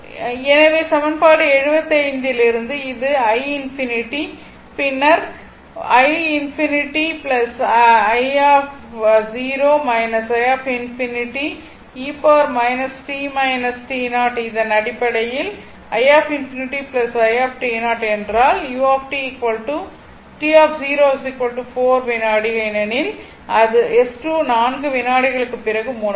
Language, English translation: Tamil, So, so t i 4 minus i infinity t 0 is equal to actually it is 4 second because S 2 was closed after 4 second